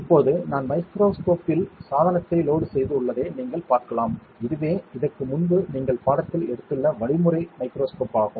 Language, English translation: Tamil, Now, you can see that I have loaded the device on to the microscope, this is the methodological microscope you have covered this in the course before